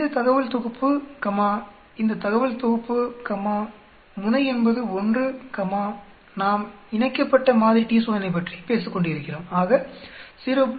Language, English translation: Tamil, We will do t t s t, this data set comma this data set comma tail is 1 comma we are talking about paired t Test so 0